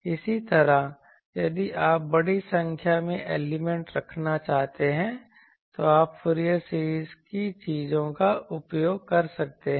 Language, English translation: Hindi, Similarly, if you want to have an large number of elements if you want to take, you can use the Fourier series things